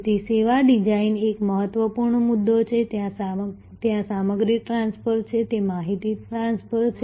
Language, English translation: Gujarati, So, service design is an important point there are material transfer, they are information transfer